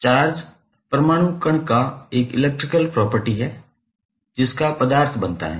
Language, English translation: Hindi, Charge is an electrical property of atomic particle of which matter consists